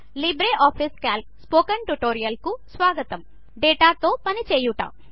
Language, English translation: Telugu, Welcome to the Spoken tutorial on LibreOffice Calc – Working with data